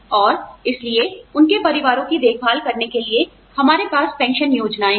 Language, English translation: Hindi, And, so to take care of their families, we have pension schemes